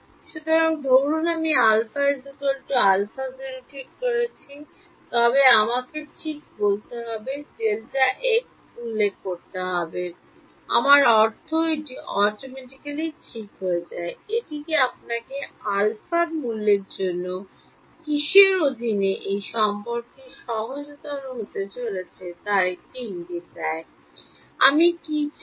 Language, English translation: Bengali, So, supposing I fix alpha equal to some alpha naught then I just have to specify delta x let us say; I mean delta t gets fix automatically, does that give you a hint of what under what for what value of alpha is this relation going to simplify to; what we want